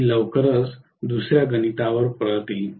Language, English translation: Marathi, I will come back to the other calculation shortly